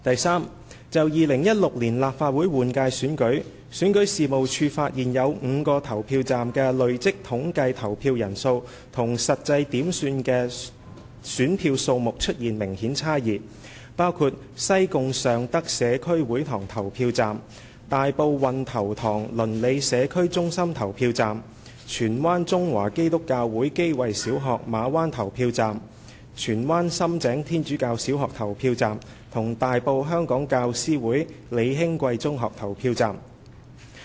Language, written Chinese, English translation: Cantonese, 三就2016年立法會換屆選舉，選舉事務處發現有5個投票站的累積統計投票人數與實際點算的選票數目出現明顯差異，包括西貢尚德社區會堂投票站、大埔運頭塘鄰里社區中心投票站、荃灣中華基督教會基慧小學投票站、荃灣深井天主教小學投票站及大埔香港教師會李興貴中學投票站。, 3 For the 2016 Legislative Council general election REO found that there were obvious discrepancies between the cumulative voter turnout figure and the number of actual ballot papers counted in five polling stations namely the Sheung Tak Community Hall in Sai Kung the Wan Tau Tong Neighbourhood Community Centre in Tai Po CCC Kei Wai Primary School Ma Wan in Tsuen Wan Sham Tseng Catholic Primary School in Tsuen Wan and Hong Kong Teachers Association Lee Heng Kwei Secondary School in Tai Po